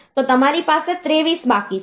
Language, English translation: Gujarati, You are left with 23